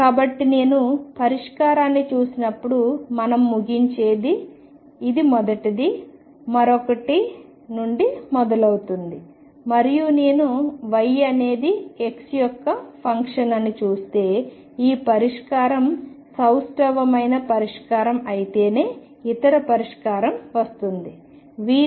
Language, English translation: Telugu, So, what we conclude when I look at the solution this is the first one, the other one starts from pi; and if I look at that y is a function of x this solution is guaranteed the other solution comes only if symmetric solution